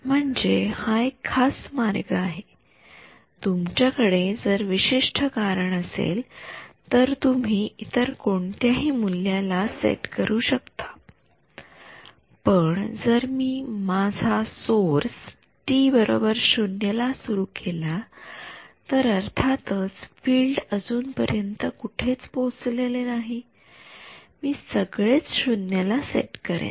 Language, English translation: Marathi, I mean that is a typical way they may if you have a specific reason to set it to something else you could do that, but if my I am turning my source on at time t is equal to 0 right then of course, filed has not reached anywhere I will set everything will be 0 right